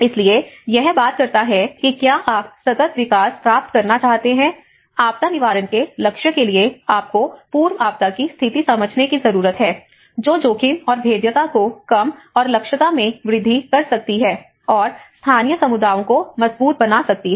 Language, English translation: Hindi, So, it talks about if you want to achieve the sustainable development, you need to understand that pre disaster conditions which can reduce the risk and vulnerability and increase the capacity, the resilience of local communities to a goal of disaster prevention